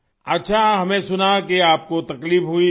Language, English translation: Urdu, Well I heard that you were suffering